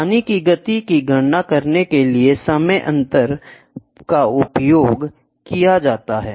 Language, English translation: Hindi, The time difference is used to calculate the water speed